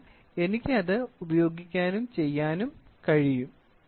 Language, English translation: Malayalam, So, I can use it and do it